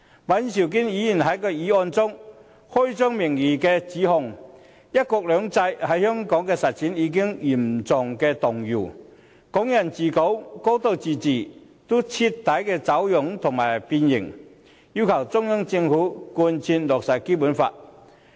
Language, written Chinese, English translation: Cantonese, 尹兆堅議員在議案中，開宗明義便指"一國兩制"在香港的實踐已經嚴重動搖，"港人治港"和"高度自治"徹底走樣、變形，要求中央政府貫徹落實《基本法》。, In his motion Mr Andrew WAN claims at the outset that the implementation of one country two systems in Hong Kong has been severely shaken and Hong Kong people administering Hong Kong and a high degree of autonomy distorted and deformed . He asks the Central Government to fully implement the Basic Law